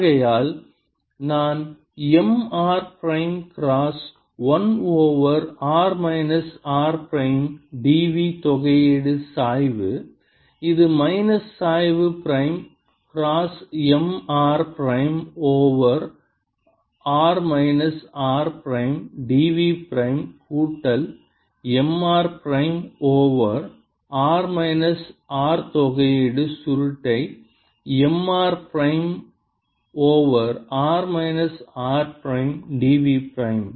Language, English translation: Tamil, prime of one over r minus r prime integral d v prime is equal to, which is minus gradient prime: cross m r prime over r minus r prime d v prime plus integral curl of m r prime over r minus r prime d v prime as equal to minus n prime cross m r prime over r minus r prime d s prime